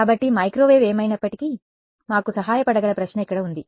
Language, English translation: Telugu, So, here is the question that can microwave help us in anyway right